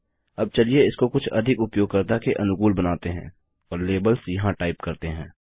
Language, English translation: Hindi, Now lets make it a bit more user friendly and type out labels here